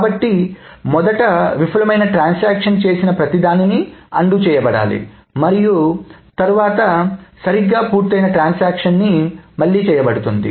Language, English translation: Telugu, So first everything that a failed transaction has done must be undone and then the transaction that has correctly completed will be redone